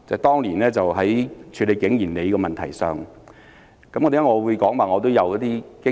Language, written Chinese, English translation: Cantonese, 當年在處理景賢里的問題上，為何我會說我有經驗呢？, On the issue of King Yin Lei why did I say I had the relevant experience?